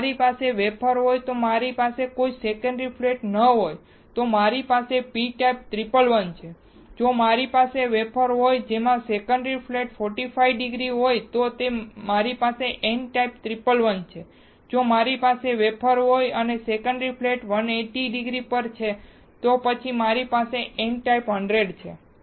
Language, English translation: Gujarati, If I have a wafer in which there is no secondary flat I have p type 111, if I have a wafer in which the secondary flat is at 45 degree I have n type 111, if I have a wafer in which the secondary flat is at 180 degree then I have n type 100